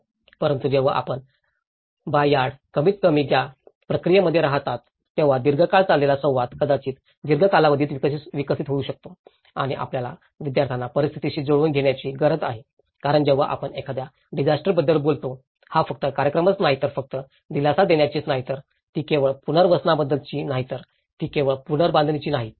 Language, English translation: Marathi, But when the moment you keep in the backyard at least in that process, long run interaction can develop maybe in a long run process and also, we have to make them the students aware of the adaptation process because when we talk about a disaster, itís not just only the event, itís not only about the relief, itís not only about the rehabilitation, it is not only about the reconstruction